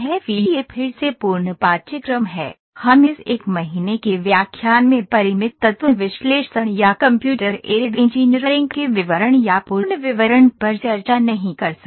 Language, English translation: Hindi, FEA is again it complete course itself we cannot discuss the details or the complete explanation of Finite Element Analysis or Computer Aided Engineering in this 1 hour lecture